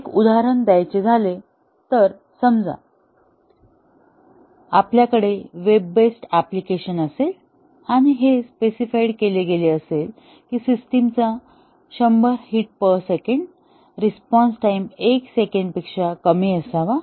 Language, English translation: Marathi, Just to give an example, if we have a web based application and it is specified that the system should, at 100 hits per second, the response times should be less than 1 second